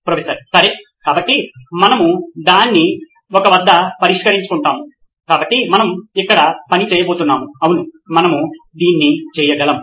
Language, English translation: Telugu, Okay, so we will fix it at that one, so we are going to do work here yeah we can do that